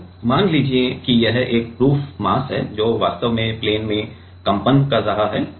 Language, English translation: Hindi, So, let us say this is a proof mass, which is actually vibrating in plane